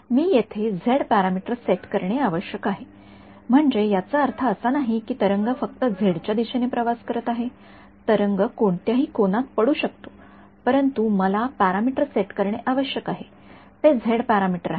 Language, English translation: Marathi, The only parameter that I had to set over here was the z parameter this does not mean that the wave is travelling only along the z direction the wave is incident at any angle, but the parameter that I need to set is the z parameter